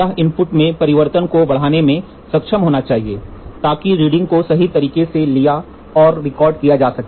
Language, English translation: Hindi, It should be able to amplify changes in the input, so that the reading can be taken and recorded accurately